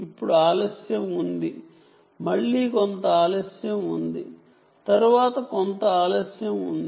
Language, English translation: Telugu, now there is a delay, then again there is some delay, then there is some delay, and so on